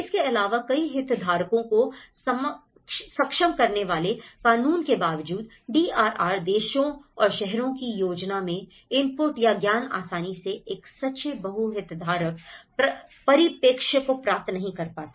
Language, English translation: Hindi, Also, the despite legislation enabling multiple stakeholders, inputs into planning of DRR, nations and cities do not easily achieve a true multi stakeholder perspective